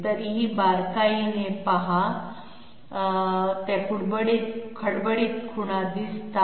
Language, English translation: Marathi, Yet closer look yes, those are the roughness marks which appear